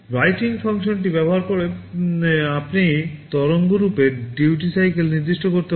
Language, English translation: Bengali, Using the write function you can specify the duty cycle of the waveform